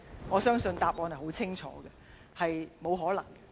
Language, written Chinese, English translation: Cantonese, 我相信答案很清楚，這並不可能。, I guess the answer is clear . This is simply impossible